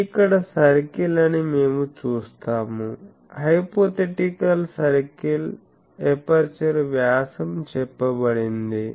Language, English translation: Telugu, We see this is the circle here; hypothetical circle that is the aperture; that is diameter is being said